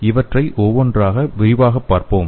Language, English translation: Tamil, So let us see these in detail one by one